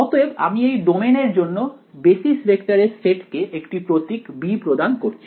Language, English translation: Bengali, So, I am going to call the set of basis vectors for the domain I am going to give the symbol b ok